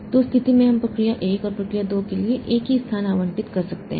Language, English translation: Hindi, So, in that case we can allocate same space for procedure one and procedure two